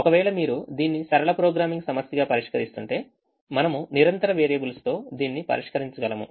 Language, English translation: Telugu, if you are solving it as a linear programming problem, we can solve it with continuous variables